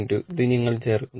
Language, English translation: Malayalam, 2 and this one you add